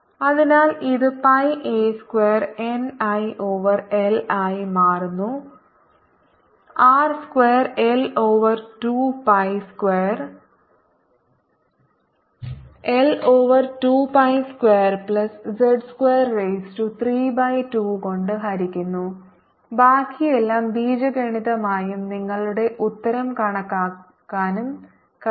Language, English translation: Malayalam, so this becomes pi a square n i over l r square is going to be l over two pi square divided by l over two pi square plus z square, raise to three by two and rest is all algebra and you can calculate your answer